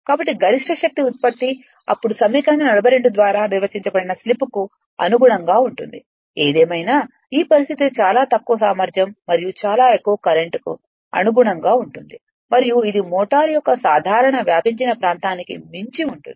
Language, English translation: Telugu, So, maximum power output can then be found corresponding to the slip define by equation 42; however, this condition correspond to very low efficiency and very large current and is well beyond the normal operating region of the motor